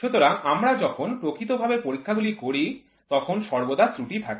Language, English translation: Bengali, So, when we do in real time experiments there is always an error